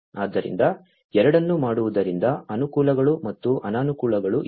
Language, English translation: Kannada, So, there are advantages and disadvantages of doing both